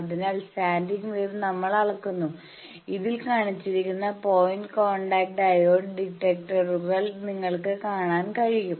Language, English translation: Malayalam, So, we measure that standing wave thing also you can see the point contact diode detectors etcetera that is shown in this